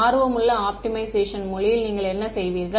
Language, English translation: Tamil, In fancier language in optimization, what would you do